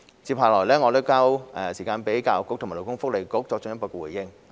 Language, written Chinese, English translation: Cantonese, 接下來我將時間交給教育局和勞工及福利局作進一步回應。, I will now leave it to the Education Bureau and the Labour and Welfare Bureau to make further response